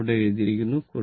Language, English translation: Malayalam, So, everything is written the